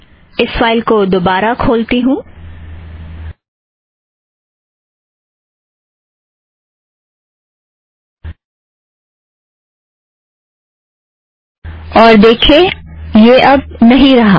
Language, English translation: Hindi, Let me re open this file and note that we no longer have this